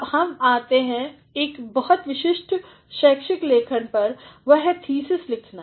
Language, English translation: Hindi, Now, we come to a very specific academic writing that is writing a thesis